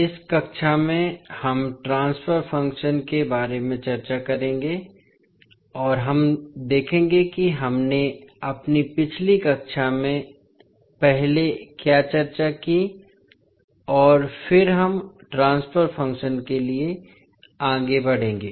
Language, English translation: Hindi, So, in this class we will discuss about the transfer function and we will see what we discussed in our previous class first and then we will proceed to transfer function